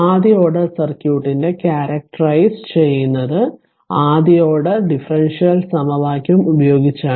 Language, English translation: Malayalam, A first order circuit is characterized by first order differential equation